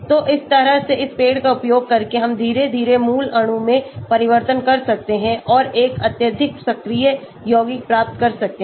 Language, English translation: Hindi, So, by that way by using this tree we can slowly make changes to the parent molecule and achieve a highly active compound